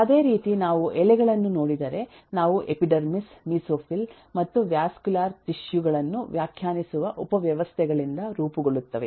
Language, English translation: Kannada, similarly, if we look at leaves, they are formed of subsystems defining epidermis, mesophyll and the vascular tissues